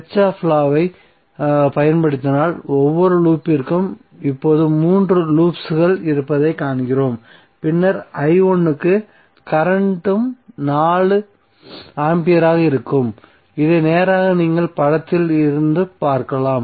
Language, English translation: Tamil, So we see there are 3 loops now for each loop if we apply the kirchhoff's law then for i1 the current would be 4 ampere which is straight away you can see from the figure